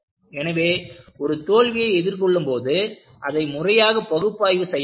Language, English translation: Tamil, So, the key is, when you face failures, analyze it systematically